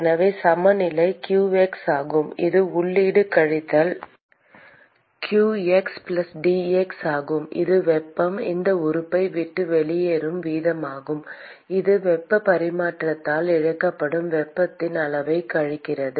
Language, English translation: Tamil, Therefore, the balance is simply qx which is the input minus q x+dx which is the rate at which heat leaves this element minus the amount of heat that is lost because of exchange of heat from the solid to the fluid which is flowing past it